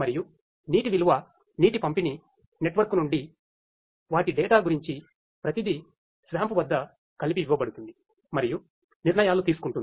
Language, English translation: Telugu, And data about data from the water reserve water distribution network their data everything fed together at SWAMP and decisions being made